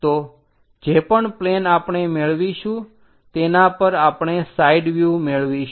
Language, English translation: Gujarati, So, whatever the plane we are going to get on that we are going to have is a side view